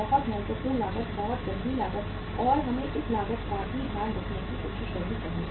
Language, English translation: Hindi, Very important cost, very serious cost and we should try to take care of this cost also